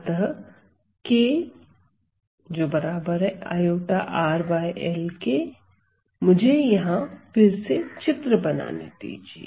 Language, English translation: Hindi, So, k equals i R by L again let me draw the diagram here